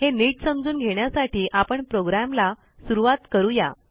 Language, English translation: Marathi, For a better understanding, let us start the program